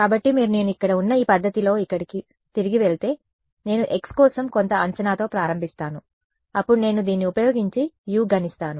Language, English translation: Telugu, So, if you go back over here in this method over here where I am I start with some guess for x then I calculate u using this right